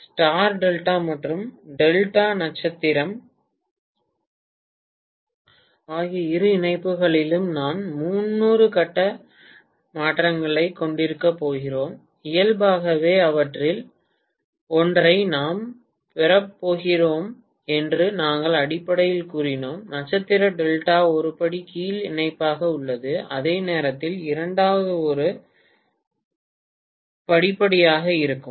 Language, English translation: Tamil, We basically said that in star delta and delta star both connections we are going to have 30 degree phase shift and inherently we are going to have one of them that is the top one, star delta as a step down connection whereas the second one is going to be step up